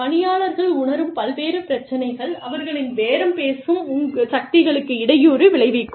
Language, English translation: Tamil, So, various issues, that people feel, can hamper their, bargaining powers